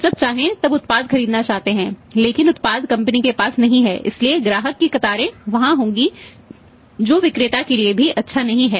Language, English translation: Hindi, People want to buy the product as and when they wanted but the product is not there with the company so customer’s queues will be there which is also not good for the seller